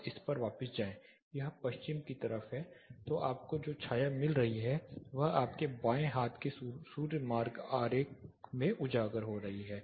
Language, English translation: Hindi, Just go back to this, so it is a west facing so the shading that you get the highlighted in your left hand side of the sun path diagram